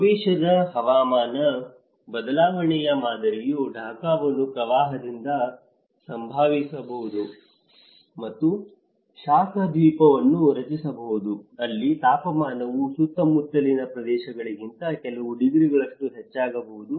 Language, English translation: Kannada, The future climate change pattern may impact Dhaka from flooding and creating heat island where temperature may become a few degrees higher than the surrounding areas